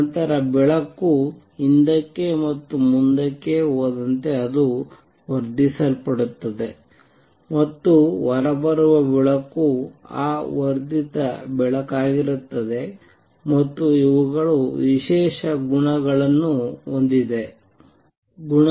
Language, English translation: Kannada, Then as light goes back and forth it is going to be amplified and the light which comes out is going to be that amplified light and these have special properties